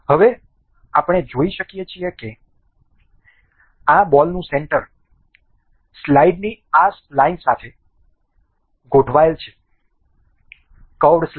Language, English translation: Gujarati, Now, we can see that the center of this ball is aligned to this spline of the slide; curved slide